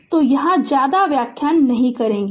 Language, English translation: Hindi, So, here I will not explain much